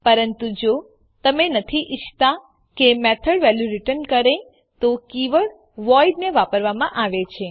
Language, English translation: Gujarati, But if you donât want the method to return a value then the keyword voidis used